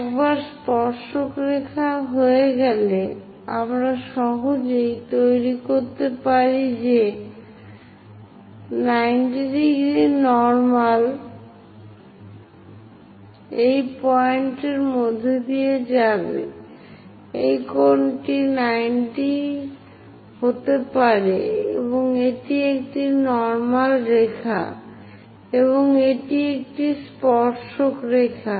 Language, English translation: Bengali, Once tangent line is there, we can easily construct a 90 degrees normal passing through that point; this angle supposed to be 90 degrees and this one is a normal line, and this one is a tangent line